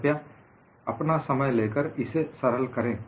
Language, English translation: Hindi, Please take your time to work it out